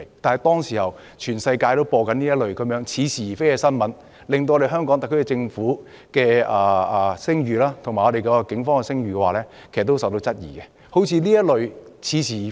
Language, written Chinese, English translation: Cantonese, 當時全世界也在報道這些似是而非的新聞，令香港特區政府及警方的聲譽備受質疑。, Back then such specious news stories were reported worldwide causing the reputation of the HKSAR Government and the Police to be questioned